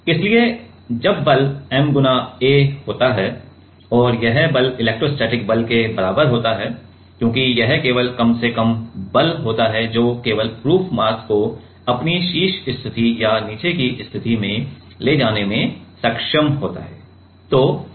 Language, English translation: Hindi, So, when the force is ma and this force is equals to the electrostatic force because, it only has a least amount of force only has been its only able to move the proof mass to its top position or bottom position